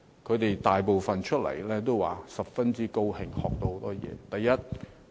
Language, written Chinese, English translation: Cantonese, 他們大部分都說：十分高興，學到很多東西。, Most of them said they were very happy and learned many things